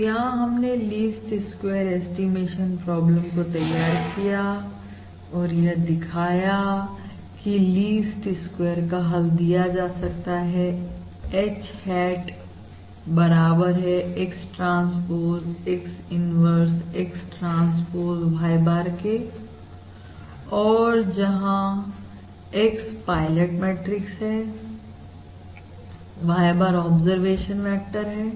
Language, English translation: Hindi, all right, So we have developed the Least Squares um parameter estimation problem and we have shown that the Least Squares solution is given as h hat equals X transpose X, inverse, X transpose y bar, where x is the pilot matrix, y bar is observation vector